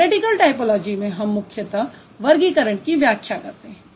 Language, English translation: Hindi, So, theoretical typology primarily it attempts to have an explanation for the types